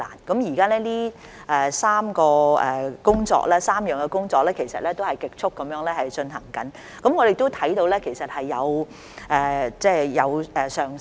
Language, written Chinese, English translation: Cantonese, 現時這3方面的工作，其實已在極速進行中，我們也看到接種率是有上升的。, The work in these three areas is already in progress at great speed and we can see that the vaccination rate is increasing